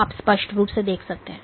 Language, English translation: Hindi, So, you can clearly see